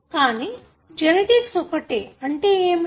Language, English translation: Telugu, So, what is a genetic code